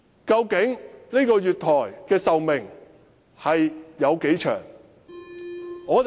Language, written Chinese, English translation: Cantonese, 究竟這個月台的壽命有多長？, How long is the useful life of the platform?